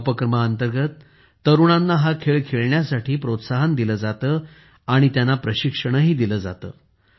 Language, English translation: Marathi, Under this program, youth are connected with this game and they are given training